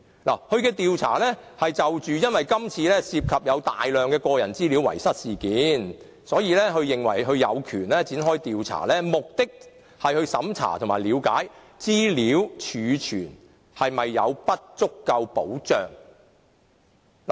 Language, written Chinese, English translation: Cantonese, 由於今次事件涉及遺失大量個人資料，所以公署認為有權展開調查，目的是審查和了解資料儲存是否保障不足。, Since this incident involves the loss of a lot of personal data PCPD thinks that it has the right to carry out an investigation with the aim of examining and ascertaining any inadequacies in the protection of personal data storage